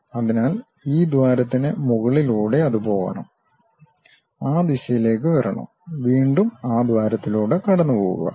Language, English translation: Malayalam, So, over this hole it has to go, come in that direction, again pass through that hole and goes